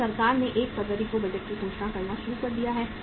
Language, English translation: Hindi, Now the government has started announcing the budget on the 1st of the February